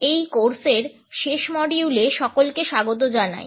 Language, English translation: Bengali, Welcome, dear participants to the last module of this course